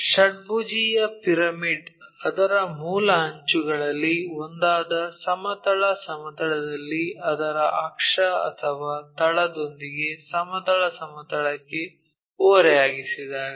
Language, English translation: Kannada, A hexagonal pyramid when it lies on horizontal plane on one of its base edges with its axis or the base inclined to horizontal plane